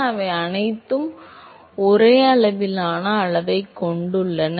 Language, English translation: Tamil, So, all of them are of same order of magnitude